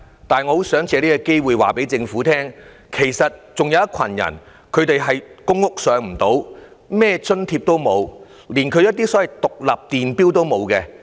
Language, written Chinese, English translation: Cantonese, 但是，我想借這個機會告訴政府，其實還有一群人，他們未能入住公屋，沒有享用任何福利津貼，連獨立電錶也沒有。, However I would like to take this opportunity to inform the Government that there actually is a group who are not eligible for public rental housing or any kind of social welfare allowance and they do not even have independent electricity metres at home